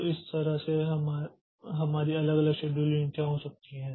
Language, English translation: Hindi, So, in this way you will so we can have different scheduling policies